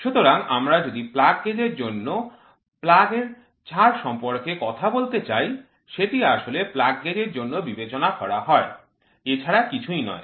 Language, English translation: Bengali, So, if we want to talk about plug allowance plug gauge, which is nothing but for consider plug gauge